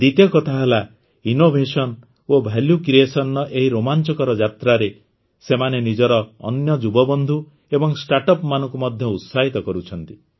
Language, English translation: Odia, Secondly, in this exciting journey of innovation and value creation, they are also encouraging their other young colleagues and startups